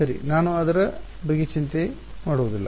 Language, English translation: Kannada, Well I would not worry about it